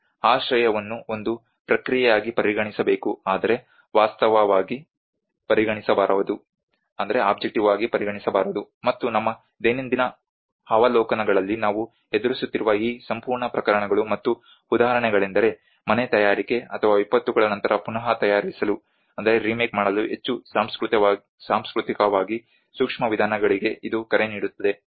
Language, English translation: Kannada, Shelter must be considered as a process but not as an object, and this whole set of cases and examples which we are facing in our daily observations it opens a call for more culturally sensitive approaches to home making or remaking in the aftermath of disasters